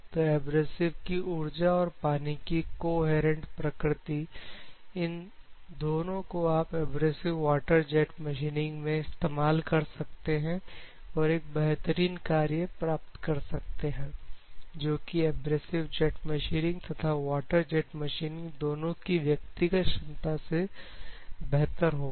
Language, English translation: Hindi, Energy of the abrasives at the same time coherence of your liquid can incorporate both in abrasive water jet machining and you can achieve greater performance compared to both individual performances of abrasive jet machining as well as water jet machining